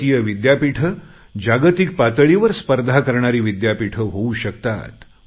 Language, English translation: Marathi, Indian universities can also compete with world class universities, and they should